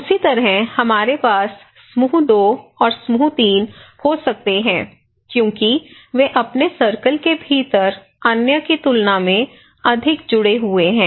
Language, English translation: Hindi, Like the same way, we can have group 2 and group 3 because they within their own circle is more connected than other